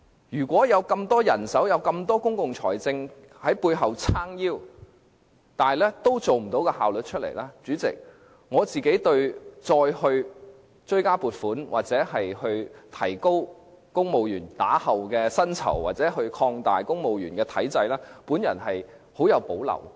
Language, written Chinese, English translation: Cantonese, 如果有這麼多人手，有這麼龐大的公共財政在背後"撐腰"，仍然未能提升效率的話，對於再追加撥款、提高公務員日後的薪酬或擴大公務員體制，我極有保留。, Should the Government fail to enhance its efficiency even though it has abundant manpower and is backed by strong public finance I will have strong reservations about giving approval to another supplementary provision increasing the future pay of civil servants or expanding the civil service system